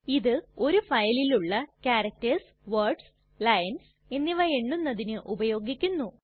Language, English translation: Malayalam, This command is used to count the number of characters, words and lines in a file